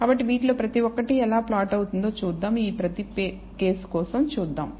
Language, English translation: Telugu, So, let us see how each of these how the plot looks for each of these cases